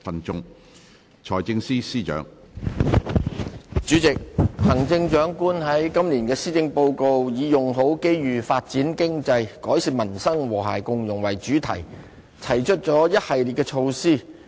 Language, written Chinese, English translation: Cantonese, 主席，行政長官在今年的施政報告以"用好機遇發展經濟改善民生和諧共融"為主題，提出了一系列的措施。, President the Chief Executive has proposed a series of measures in this years Policy Address under the theme of Make Best Use of Opportunities Develop the Economy Improve Peoples Livelihood Build an Inclusive Society